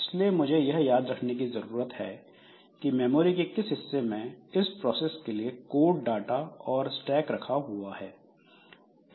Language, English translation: Hindi, So, I need to remember the regions of the memory which has got this code, data and stack for this particular process